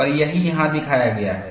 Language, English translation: Hindi, And, that is what is shown here